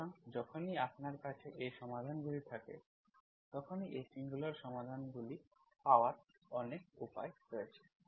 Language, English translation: Bengali, So whenever you have these solutions, there are many ways to, there are ways to get these singular solutions